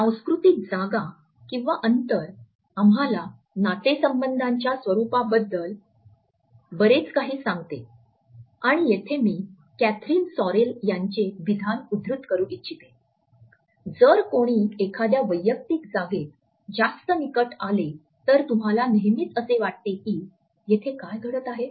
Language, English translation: Marathi, Cultural space tells us a lot “about the nature of a relationship” and here I would like to quote Kathryn Sorrell who has commented “so, if someone comes more into a personal space, then you are used to you can often feel like, ‘what is happening here